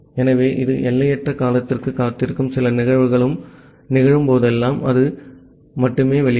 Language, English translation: Tamil, So, it will keep on waiting for infinite duration, whenever some event will occur then only it will come out